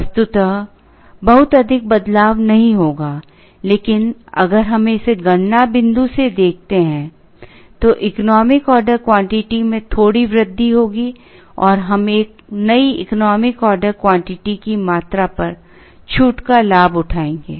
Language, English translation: Hindi, Physically there would not be too much of a change, but if we look at it from the computation point view, there will be a slight increase in the economic order quantity and we will avail the discount, at the new economic order quantity